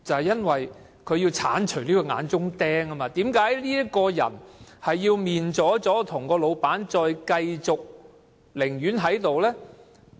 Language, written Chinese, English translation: Cantonese, 因為他要鏟除這口眼中釘，而為甚麼該僱員跟老闆"面左左"，仍要繼續在那裏工作？, That is because he has to remove the thorn in his flesh . And why does the employee insist on reinstatement even if he is not on speaking terms with the employer?